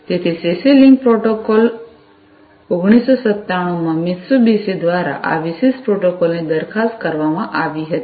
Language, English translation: Gujarati, So, this particular protocol was proposed by Mitsubishi in 1997, the CC link protocol